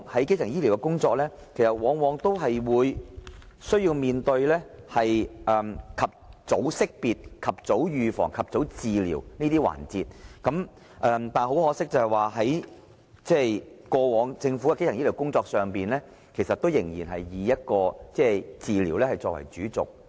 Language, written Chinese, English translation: Cantonese, 基層醫療的工作往往是以及早識別、預防和治療為主要環節，但是，很可惜的是，過往政府在基層醫療的工作上仍然以治療為主軸。, Early identification prevention and treatment are the three pivotal parts of primary health care . But it is very unfortunate that in the past what the Government has done on primary health care was mainly treatment oriented